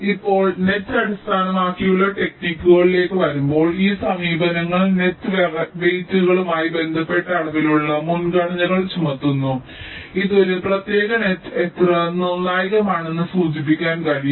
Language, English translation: Malayalam, now coming to the net based techniques, these approaches impose quantitative priorities with respect to net weights, which can indicate how critical a particular net is